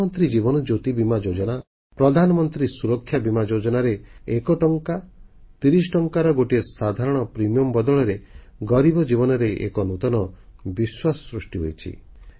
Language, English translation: Odia, Schemes like, Pradhan Mantri Jeewan Jyoti Bima Yojna, Pradhan Mantri Suraksha Bima Yojna, with a small premium of one rupee or thirty rupees, are giving a new sense of confidence to the poor